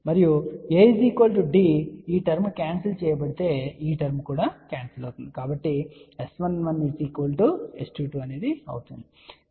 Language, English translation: Telugu, And if A is equal to D this term will get cancel this term will get cancel so that means, S 11 is equal to S 22